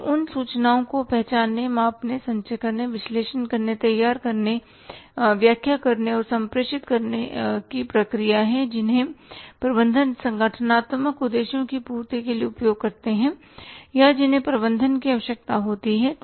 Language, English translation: Hindi, It is the process of identifying, measuring, accumulating, analyzing, preparing, interpreting and communicating information that managers used to fulfill or that manager need to fulfill organizational objectives